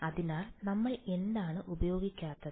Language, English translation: Malayalam, So, what have we not used